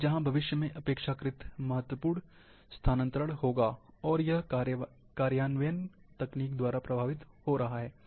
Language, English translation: Hindi, But, where future is relatively, the important shifting, and it is getting influenced, by the implementation technology